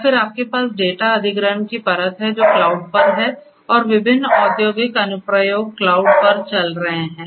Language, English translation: Hindi, And then you have the data acquisition layer which is at the cloud and different and industrial applications are running on the cloud right